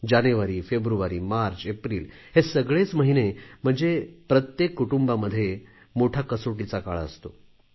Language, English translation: Marathi, January, February, March, April all these are for every family, months of most severe test